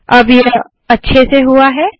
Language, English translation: Hindi, Now this is nicely done